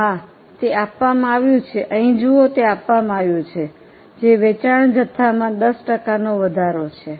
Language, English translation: Gujarati, Yes because it is given that see here it is given that the increase in the sales volume by 10%